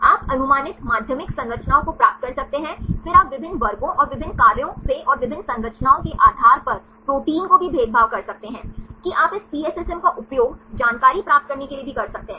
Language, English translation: Hindi, You can get the predicted secondary structures then you can also discriminates proteins from different classes and different functions and based on different structures, that you can also use this PSSM to get the information